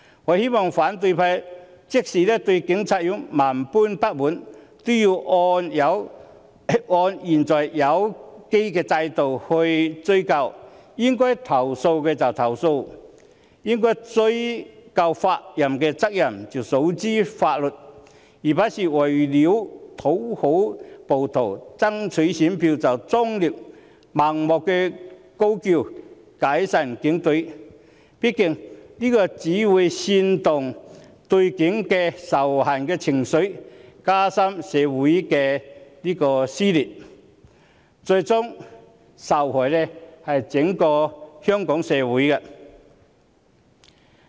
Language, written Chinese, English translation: Cantonese, 我希望反對派即使對警察有萬般不滿，也要按現有機制追究，應該投訴便投訴，應追究法律責任，便訴諸於法律，而不是為了討好暴徒，爭取選票，終日盲目高叫解散警隊，畢竟這只會煽動對警察的仇恨情緒，加深社會的撕裂，最終受害的是整個香港社會。, I hope that even if they are extremely dissatisfied with the Police the opposition will pursue matters under the existing mechanism . They should lodge their complaints as and when necessary and bring a case to the Court when persons concerned should be held legally liable . The point is that they should not constantly and blindly call for dissolution of the Police Force so as to toady up the rioters and canvass votes